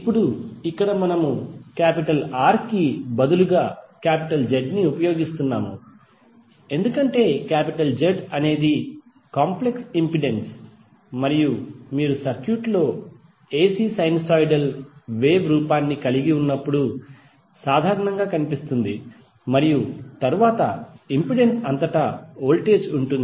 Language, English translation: Telugu, Now here we are using Z instead of R, because Z is the complex impedance and is generally visible when you have the AC sinusoidal wave form in the circuit and then the voltage across the impedance